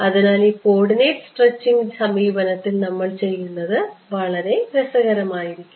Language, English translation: Malayalam, So, what we do in this coordinate stretching approach is going to be very interesting